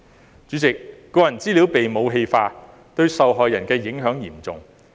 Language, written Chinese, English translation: Cantonese, 代理主席，個人資料被"武器化"，對受害人的影響嚴重。, Deputy President the weaponization of personal data has serious repercussions on the victims